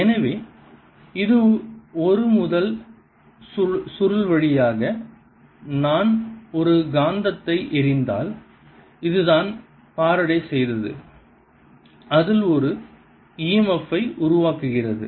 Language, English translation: Tamil, so this is a first that you have seen that if i throw a magnet through a coil this is which is what faraday did that produces an e m f in that